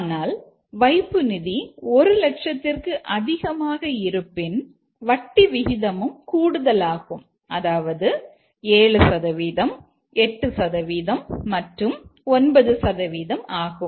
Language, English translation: Tamil, But if the amount is more than 1,000,000, then the rate of interest is higher, 7%, 8% and 9%